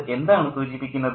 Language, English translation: Malayalam, What does that suggest